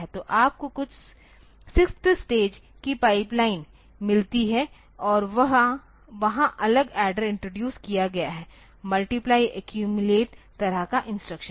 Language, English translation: Hindi, So, you get some sixth stage pipeline and also so, there separate adder has been introduced for multiply accumulate type of instruction